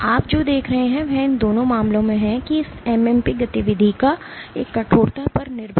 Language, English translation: Hindi, What you see is in both of these cases the amount; there is a stiffness dependent modulation of this MMP activity